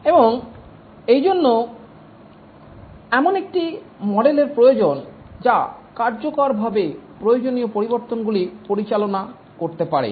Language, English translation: Bengali, And therefore there is need for a model which can effectively handle requirement changes